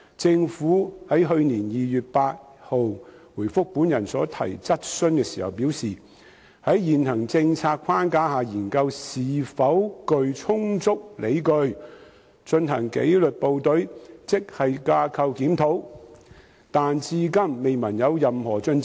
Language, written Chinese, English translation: Cantonese, 政府於去年2月8日回覆本人所提質詢時表示，會"在現行政策框架下研究是否具充足理據進行[紀律部隊]職系架構檢討"，但至今未聞任何進展。, In reply to a question raised by me on 8 February last year the Government indicated that it would consider whether GSRs [Grade Structure Reviews] [for disciplined services] are justified to be conducted under the existing policy framework but no progress has been reported since then